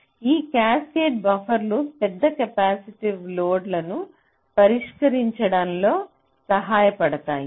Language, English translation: Telugu, cascaded buffers are to be used for driving high capacitive load